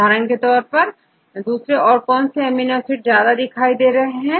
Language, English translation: Hindi, For example, what other amino acids, which have high preference, high occurrence